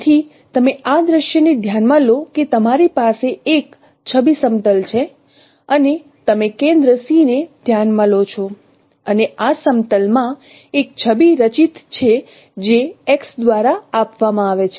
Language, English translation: Gujarati, So you consider this scenario that you have an image plane and you consider a center C and there is an image formed in this plane which is given by X